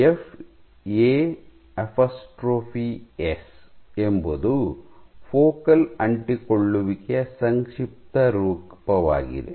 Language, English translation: Kannada, So, FA apostrophe s is short form of focal adhesions